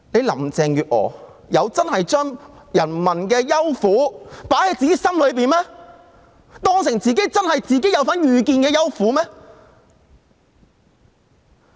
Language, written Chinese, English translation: Cantonese, 林鄭月娥真有把市民的憂苦放在自己心上，並視之為一己的憂苦嗎？, Has Carrie LAM really taken to her heart peoples worries and sufferings as if they are her own worries and sufferings?